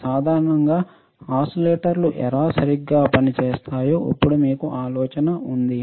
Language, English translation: Telugu, In general, now we have an idea of how oscillators would work right